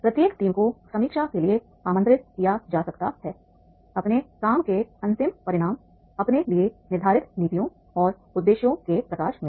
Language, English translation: Hindi, Each team may be invited to review the final results of its work in the light of the policies and objectives it had said for itself